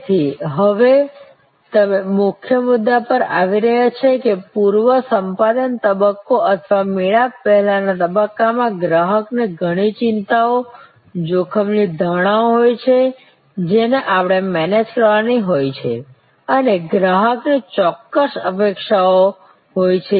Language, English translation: Gujarati, So, now you are coming to the key point that in the pre acquisition stage or the pre encounters stage, customer has lot of worries, risk perceptions which we have to manage and customer has certain expectations